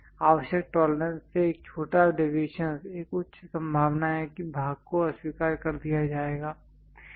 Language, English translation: Hindi, A small deviation from the required tolerances there is a high chance that part will be get rejected